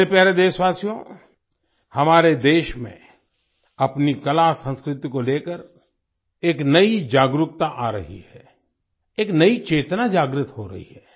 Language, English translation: Hindi, My dear countrymen, a new awareness is dawning in our country about our art and culture, a new consciousness is awakening